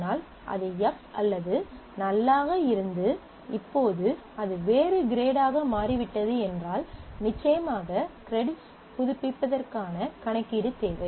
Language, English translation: Tamil, But if it is if it was f or it was null, and now it has become a different grade then certainly the computation to update the credits earned is required